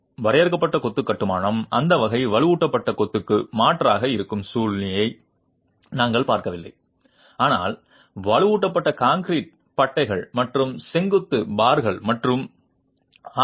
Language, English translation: Tamil, We are not looking at a situation where the confined masonry construction is an alternative to that type of reinforced masonry but minimally reinforced masonry with reinforced concrete bands and vertical bars and RC frame construction as well